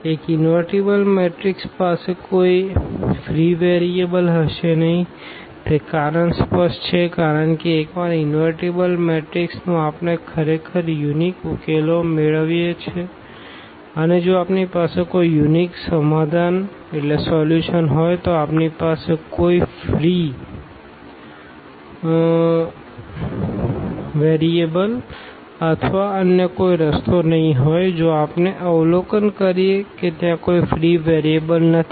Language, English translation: Gujarati, An invertible matrix will have no free variable the reason is clear because once the matrix invertible we get actually unique solution and if we have a unique solution definitely we will not have a free variables or other way around if we observe that there is no free variable; that means, this A is also invertible